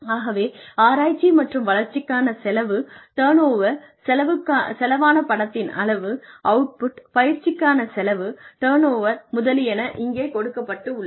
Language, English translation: Tamil, So, the expenditure on research and development, the turnover, the amount of money spent, the output, training expenditure, turnover, etcetera